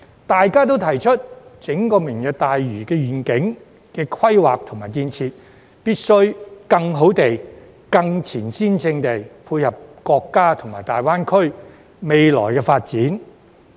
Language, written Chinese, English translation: Cantonese, 大家都提出，整個"明日大嶼願景"規劃及建設，必須更好地、更前瞻性配合國家和大灣區未來的發展。, All of us pointed out that the planning and construction of the entire Lantau Tomorrow Vision had to better complement the future development of the country and GBA in a more forward - looking manner